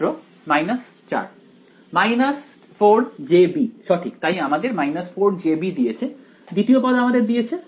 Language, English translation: Bengali, Minus 4 j b right, so that gave us minus 4 j b; the second term gave us